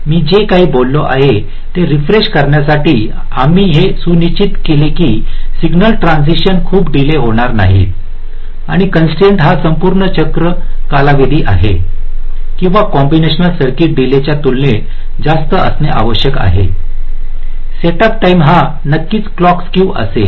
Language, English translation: Marathi, in the setup constraint, we ensured that no signal transitions occurs too late, and the constraints are: the total cycle time, or the time period must be greater than equal to the combinational circuit delay, the setup time and, of course, the clock skew, if any